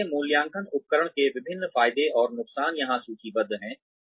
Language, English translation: Hindi, So, various advantages and disadvantages of appraisal tools, are listed here